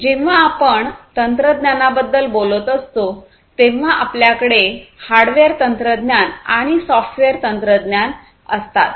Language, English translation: Marathi, So, when we are talking about technology basically we have the hardware technology and the software technologies, right